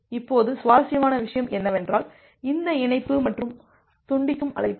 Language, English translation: Tamil, Now here the interesting point is this connect and the disconnect call